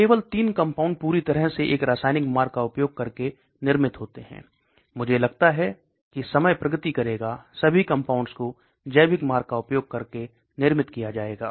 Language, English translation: Hindi, Only 3 compounds are fully manufactured using a chemical route, I think as time progress all these molecules maybe manufactured using biological route